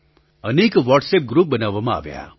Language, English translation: Gujarati, Many WhatsApp groups were formed